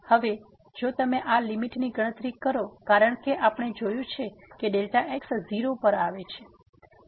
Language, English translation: Gujarati, Now, if you compute this limit because as we see delta goes to 0